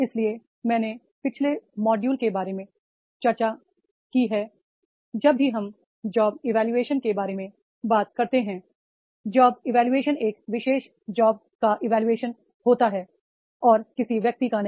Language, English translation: Hindi, So in last module I have discussed about that is whenever we talk about the job evaluation, job evaluation is evaluation of a particular job and not of a person